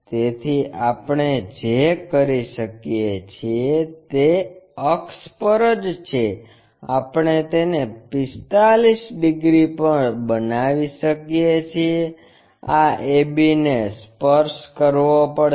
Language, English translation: Gujarati, So, what we can do is on the axis itself we can construct it at 45 degrees this a b has to touch